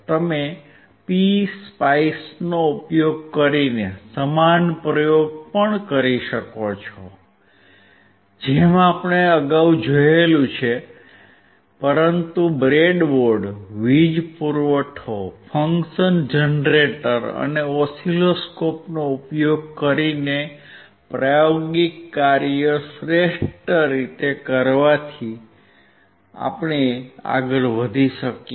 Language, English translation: Gujarati, You can also do similar experiment using PSpice as we have seen earlier, but the best way of doing it is using breadboard, power supply, function generator, and oscilloscope